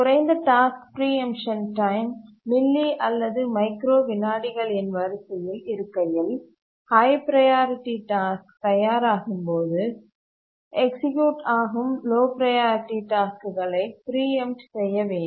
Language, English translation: Tamil, Low task preemption times, the order of milly or microseconds, when a high priority task becomes ready, the low priority task that's executing must be preempted